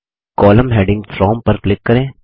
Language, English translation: Hindi, Simply click on the column heading From